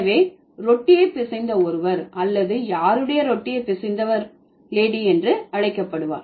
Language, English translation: Tamil, So, somebody who would need a bread or somebody whose work is needing the bread would be known as lady